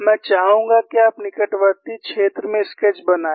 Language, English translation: Hindi, I would like you to draw the sketch in the near vicinity